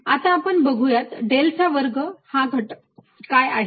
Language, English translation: Marathi, let see what this quantity del square is